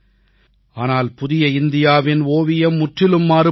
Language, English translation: Tamil, But, the picture of New India is altogether different